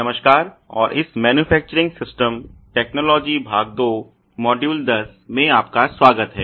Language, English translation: Hindi, Hello and welcome to this manufacturing systems technology part 2 module 10